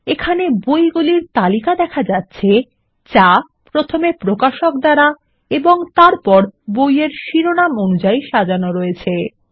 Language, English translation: Bengali, Here are the books, first sorted by Publisher and then by book title